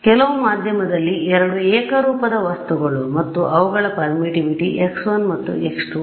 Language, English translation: Kannada, 2 homogeneous objects in some medium and their permittivity is x 1 and x 2